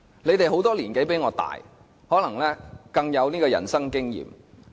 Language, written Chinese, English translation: Cantonese, 他們有很多年紀比我大，可能更有人生經驗。, Many of them are older and more experienced in life than me